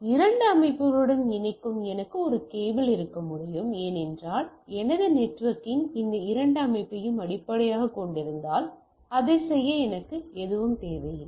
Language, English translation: Tamil, I can have a single cable to connect to the two systems because I if my networking is based on these two system, I do not require something to do that